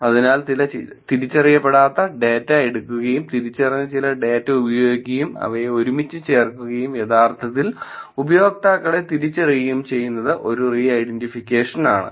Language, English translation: Malayalam, So, taking some unidentified data and using some identified data putting them together and identifying the users actually is an